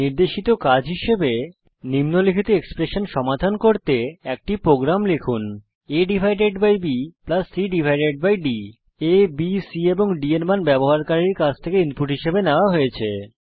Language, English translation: Bengali, As an assignment: Write a program to solve the following expression, a divided by b plus c divided by d The values of a, b, c and d are taken as input from the user